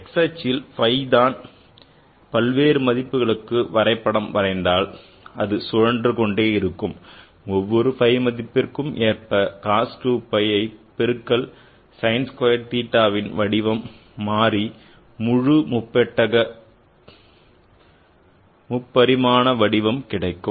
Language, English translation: Tamil, Let's plot it along the x axis and then plot it for various values of phi in going around so that for each value of phi the cost to 5 multiplying sine square theta will change the shape to get you the full three dimensional picture